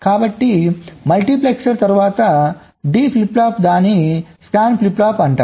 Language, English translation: Telugu, so a multiplexer followed by a d flip flop, that is a scan flip flop